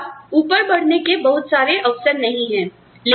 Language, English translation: Hindi, You do not have, very many opportunities, for upward mobility